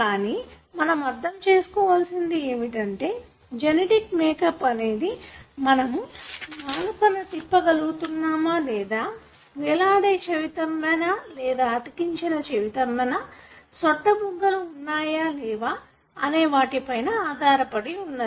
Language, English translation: Telugu, But what is understood is, the genetic makeup of your body contributes to whether or not you are able to roll tongue or whether you have free earlobe or attached earlobe, whether you could have dimple and so on